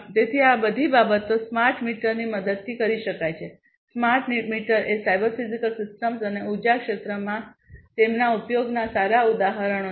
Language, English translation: Gujarati, So, all of these things can be performed with the help of smart meters and smart meters are good examples of cyber physical systems and their use in the energy sector